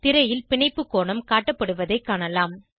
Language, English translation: Tamil, We can see the bond angle displayed on the screen